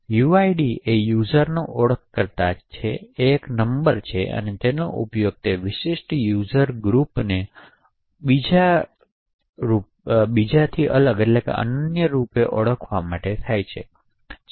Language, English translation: Gujarati, So uid is the user identifier it is a number and it is used to uniquely identify that particular user group